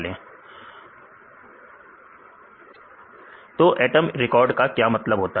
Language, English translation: Hindi, So, in this case how can we get the atom records